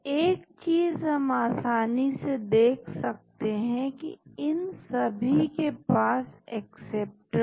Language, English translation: Hindi, So, one thing we can easily see that they all have these acceptors